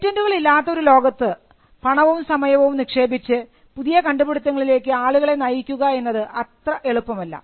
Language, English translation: Malayalam, In a world without patents, it would be very difficult for people to invest time and resources in coming up with new inventions